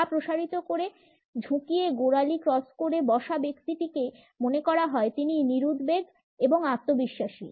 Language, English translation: Bengali, A person sitting with legs stretched out stooped in ankles crossed is feeling relaxed or confident